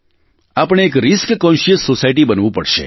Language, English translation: Gujarati, We'll have to turn ourselves into a risk conscious society